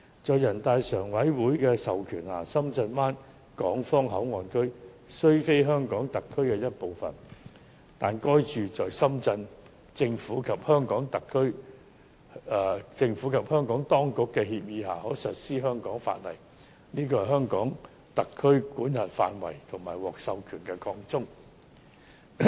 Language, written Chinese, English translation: Cantonese, 在人大常委會的授權下，深圳灣港方口岸區雖非香港特區的一部分，但在深圳政府及香港當局的協議下，該處可實施香港法例，這是香港特區管轄範圍和獲授權的擴充。, With the authorization from the Standing Committee of the National Peoples Congress NPCSC the Hong Kong Port Area at the Shenzhen Bay Port though not part of the HKSAR can be a place where the laws of the HKSAR apply under the agreement between the Shenzhen Government and the authorities of Hong Kong . This involves an augmentation of the jurisdictional scope and authority of the HKSAR